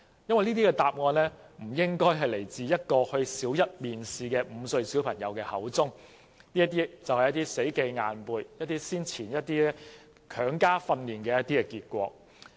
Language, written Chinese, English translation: Cantonese, "因為這些答案不可能出自一位參加小一面試的5歲小朋友，而這便是死記硬背或曾經接受強加訓練的結果。, It is because a five - year - old attending a Primary One interview cannot possibly come up with such an answer . It is simply the result of rote learning or compulsory training